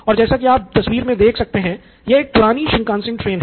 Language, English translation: Hindi, It runs on tracks yes and this is the picture of an oldish Shinkansen train